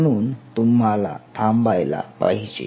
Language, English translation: Marathi, So, you have to stop it